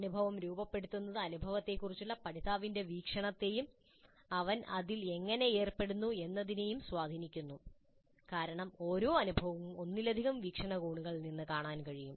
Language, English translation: Malayalam, Framing the experience influences the learners perspective on the experience and how they engage in it it because every experience can be looked at from multiple perspectives and this will interplay a significant role during the subsequent reflection